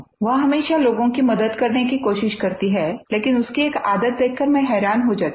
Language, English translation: Hindi, She always tries to help others, but one habit of hers amazes me